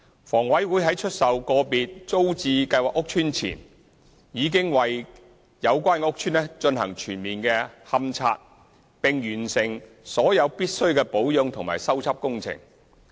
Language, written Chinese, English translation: Cantonese, 房委會在出售個別租置計劃屋邨前，已為有關屋邨進行全面勘察，並完成所有必需的保養和修葺工程。, HA has carried out comprehensive investigation and completed all necessary maintenance and repair works prior to the sale of individual TPS estates